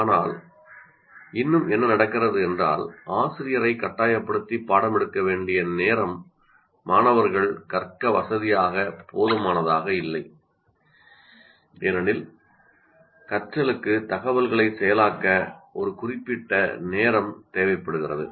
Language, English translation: Tamil, but still what happens is the amount of material, the time the teacher is forced to take is not sufficient to facilitate the students to learn because learning requires certain amount of time to process the information